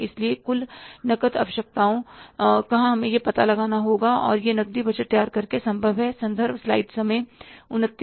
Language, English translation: Hindi, So, total cash requirements we have to work out and it's possible by preparing the cash budget